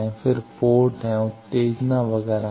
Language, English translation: Hindi, Then there are ports, there are stimulus etcetera